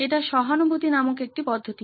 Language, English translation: Bengali, This is a method called empathise